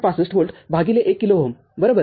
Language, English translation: Marathi, 65 volt divided by 1 kilo ohm, right